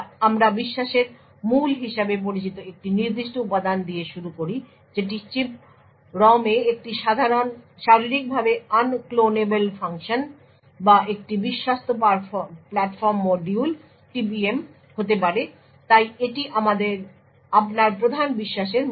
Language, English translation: Bengali, We start with a particular component known as the root of the trust this could be a Physically Unclonable Function on chip ROM or a Trusted Platform Module so this is the basic of the root of your trust